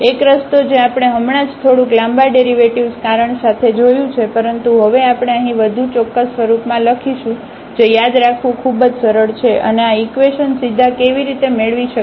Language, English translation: Gujarati, One way which we have just seen bit along bit long derivation, but now we will here write down in a more precise form which is very easy to remember and how to get these equations directly